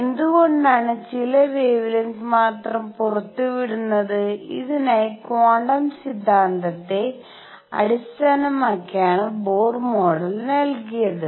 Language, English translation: Malayalam, Why is it that only certain wavelengths are emitted and for this Bohr model was given based on the quantum theory